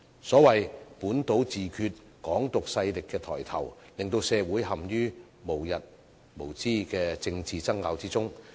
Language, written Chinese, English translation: Cantonese, 所謂的本土自決、"港獨"勢力抬頭，令社會陷於無日無之的政治爭拗之中。, The rise of self - determination and Hong Kong independence forces as we call it have plunged the community into endless political arguments